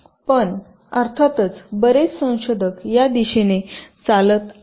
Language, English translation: Marathi, but of course many research us are walking in this direction